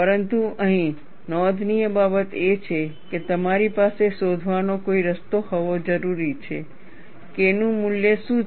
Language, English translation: Gujarati, But the point to note here is, you need to have some way of finding out, what is the value of K effective